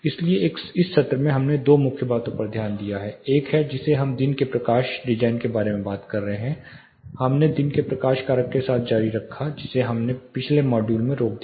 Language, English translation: Hindi, So, in this session, we looked at two main things one is we talked about day lighting design, we continue to with the daylight factor which we start in the previous module